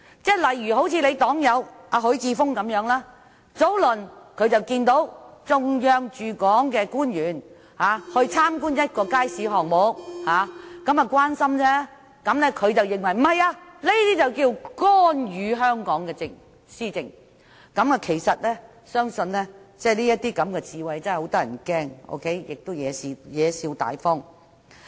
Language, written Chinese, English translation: Cantonese, 以尹議員的黨友許智峯議員為例，他早前看到有中央駐港官員參觀一個街市項目，這是關心的表現，他卻認為是干預香港施政，這種智慧真的很嚇人，亦貽笑大方。, Take Mr HUI Chi - fung Mr WANs fellow party member as an example . Mr HUI saw earlier some Central Peoples Governments officials stationed in Hong Kong visit a market where there was a development project . That was an expression of concern of the officials but Mr HUI thought that they were interfering in the administration of Hong Kong